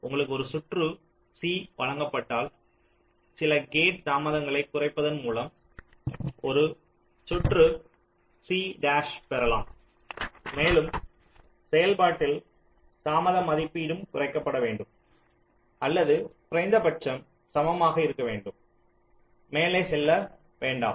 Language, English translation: Tamil, this says that if you are given a circuit c, then we can get an circuit c dash by reducing some gate delays and in the process the delay estimate should also be reduced, or at least be equal, not go up